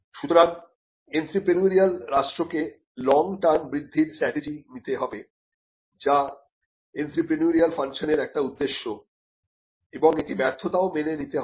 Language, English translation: Bengali, So, the entrepreneurial state must create long term growths strategies which is a part of the entrepreneurial function and it should also embrace failures